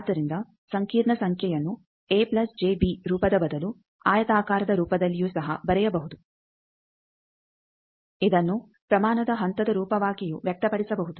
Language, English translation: Kannada, So, a complex number can also be written instead of a plus j b form which is called rectangular form, it can also be expressed as a magnitude phase form